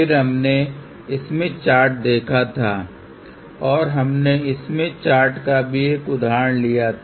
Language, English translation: Hindi, Then, we had looked into the Smith Chart and we took an example of the Smith Chart also